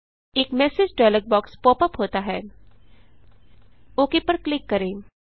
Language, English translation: Hindi, A message dialog box pops up.Let me click OK